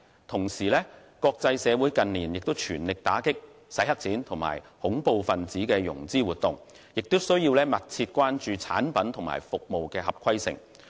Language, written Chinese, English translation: Cantonese, 同時，國際社會近年全力打擊"洗黑錢"及恐怖分子融資活動，亦需要密切關注產品和服務合規性。, At the same time the international community has devoted full efforts to combating money laundering and terrorist financing activities in recent years . It is also necessary to keep a close watch on the compliance of products and services